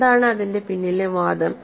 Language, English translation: Malayalam, What is the argument behind it